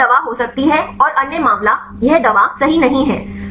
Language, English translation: Hindi, So, this can be a drug and other case this is not drug right